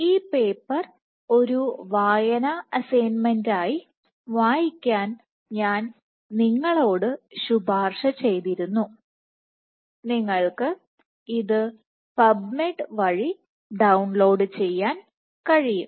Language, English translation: Malayalam, This paper I have also recommended you to read as a reading assignment you can download it through PubMed